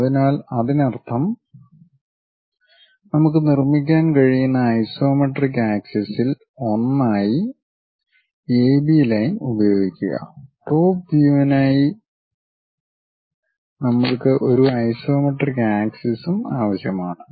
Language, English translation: Malayalam, So, that means, use AB line as one of the isometric axis on that we can really construct it; for top view we require one more isometric axis also